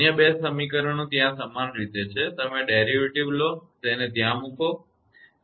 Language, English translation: Gujarati, Other 2 equations are there similar way you take the derivative and put it right